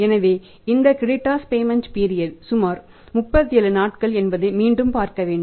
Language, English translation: Tamil, So, then again we have to see that this creditors payment period is about 37 days